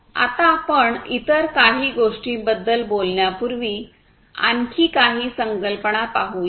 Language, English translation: Marathi, Now, let us look at few more concepts before we talk about few other things